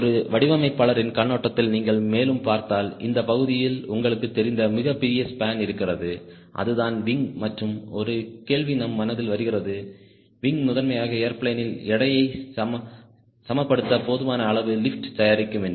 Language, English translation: Tamil, if you further see from a designer point of view, this portion, the huge, large span, you know its the wing and the question comes to our mind: the wing is primarily to produce enough lift to balance the weight of the airplane